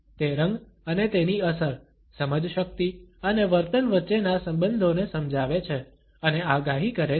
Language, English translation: Gujarati, That explains and predicts relations between color and its effect, cognition and behavior